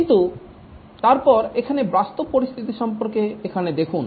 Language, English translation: Bengali, But then look at here about the practical situation here